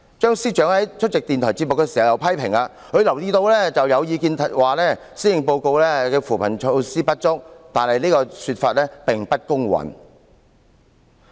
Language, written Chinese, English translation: Cantonese, 張司長在出席電台節目時又批評，他留意到有意見指施政報告的扶貧措施不足，但此說法並不公允。, Mr Matthew CHEUNG also made a comment when he attended a radio program . He was aware of some opinions saying that the poverty alleviation measure mentioned in the Policy Address were inadequate but he considered such opinions unfair